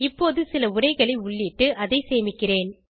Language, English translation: Tamil, Let me type some text here and save it